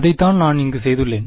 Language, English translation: Tamil, That is what I have done over here